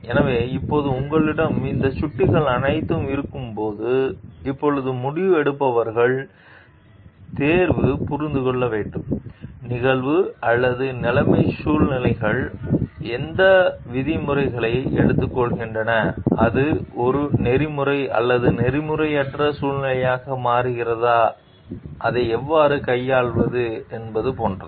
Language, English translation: Tamil, So, now when you have all these pointers to yours so, it is now the decision makers choice to understand, how the event or situation what terms the situations are taking and whether it is becoming an ethical or unethical situation and like how to deal with it